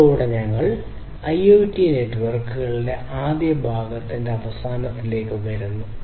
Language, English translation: Malayalam, So, with this we come to an end of the first part of IoT networks